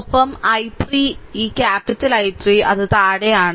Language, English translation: Malayalam, And I 3; this I capital I 3 it is in downwards